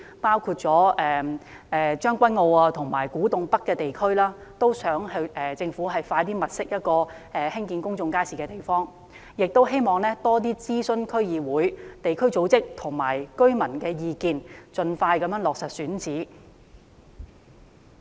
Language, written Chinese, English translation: Cantonese, 同時，在將軍澳和古洞北地區，亦希望政府盡快物色興建公眾街市的地方，並在過程中多諮詢區議會、地區組織和居民意見，盡快落實選址。, Meanwhile I also hope the Government can expeditiously identify sites for building public markets in Tseung Kwan O and Kwu Tung North areas and consult the district councils concerned local organizations and residents more frequently during the process and make speedy decisions regarding the locations